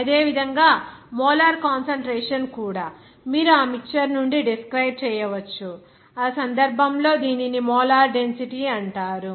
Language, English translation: Telugu, Similarly, molar concentration also you can describe from that mixture, in that case, it is called molar density